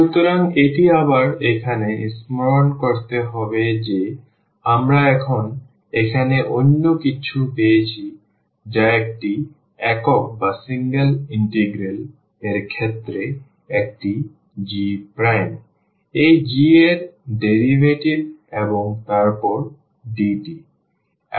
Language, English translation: Bengali, So, that is again here to recall that we got now there is something else here which is in case of a single integral it is g prime the derivative of this g and then dt